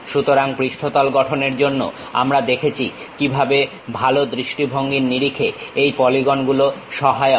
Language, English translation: Bengali, So, for surface constructions we have seen how these polygons are helpful in terms of better visualization